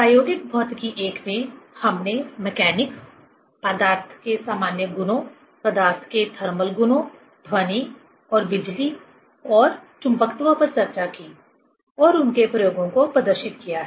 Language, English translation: Hindi, In experimental physics I, we have discussed and demonstrated the experiments on mechanics, general properties of matter, thermal properties of matter, sound and electricity and magnetism